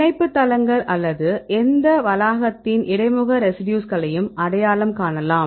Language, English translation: Tamil, Then we can identify the binding sites or the interface residues of any complex